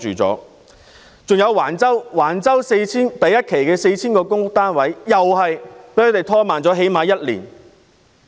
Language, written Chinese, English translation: Cantonese, 此外，興建橫洲第一期 4,000 個公屋單位的進度被拖慢了最少1年。, In addition the progress of constructing 4 000 public housing units in Phase 1 of the public housing development at Wang Chau has been delayed for at least one year